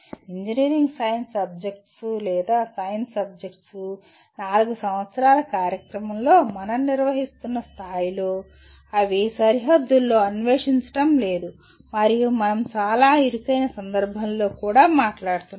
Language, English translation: Telugu, The engineering science subjects or science subjects; the way at the level at which we are handling in a 4 year program they are fairly structured subjects in the sense we are not exploring on the frontiers and we are also talking about in very very narrow context